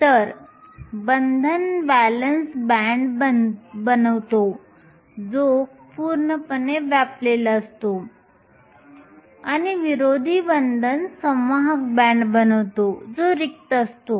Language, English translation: Marathi, So, the bonding forms the valence band which is completely full and the anti bonding forms the conduction band that is empty